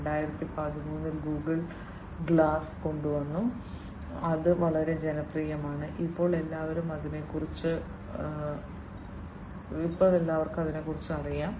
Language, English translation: Malayalam, And, in 2013 Google came up with the Google glass, which is very popular and everybody knows about it at present